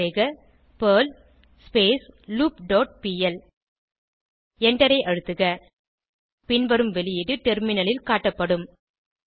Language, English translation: Tamil, Type perl doWhileLoop dot pl and press Enter The following output will be displayed on the terminal